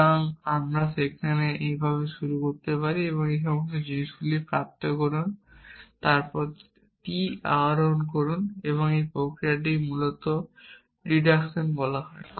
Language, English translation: Bengali, So, there you can start like this derive all this things then derive t, this process is called natural deduction essentially